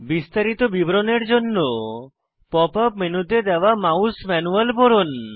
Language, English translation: Bengali, For a detailed description, refer to the Mouse Manual provided in the Pop up menu